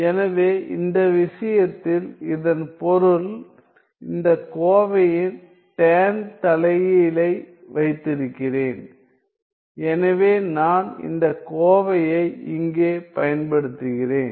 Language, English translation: Tamil, So, which means that in this case I have that tan inverse this expression; so I am using this expression here